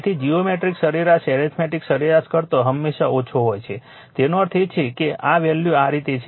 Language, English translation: Gujarati, So, geometric mean is always less than arithmetic mean; that means, this value this is the way